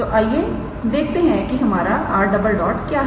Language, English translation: Hindi, So, let us see what is our r double dot